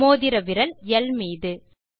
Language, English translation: Tamil, Ring finger on the alphabet L